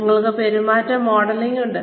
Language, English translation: Malayalam, We have behavior modelling